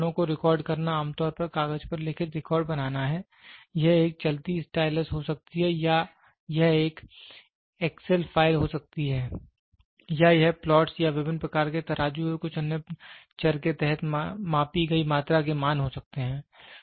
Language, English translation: Hindi, Recording these instruments make written record usually on paper, it can be a stylus moving or it can be a excel file or it can be dots getting plot or the values of the quantity in measured under various kinds scales and some other variables